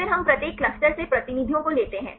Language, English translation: Hindi, Then we take the representatives from each clusters right